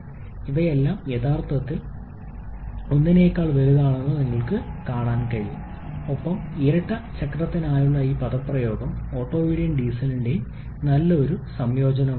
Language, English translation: Malayalam, That is Px/P2, you can see all of them are actually greater than 1 and this expression for dual cycle is a good amalgamation of both Otto and Diesel cycle